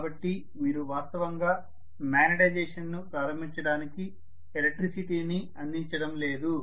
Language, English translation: Telugu, so you are not going to really provide any electricity at all to start even the magnetization